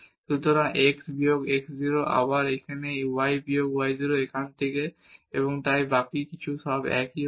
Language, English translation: Bengali, So, x minus x 0, here again this y minus y 0 from here and so on so, the rest everything will be the same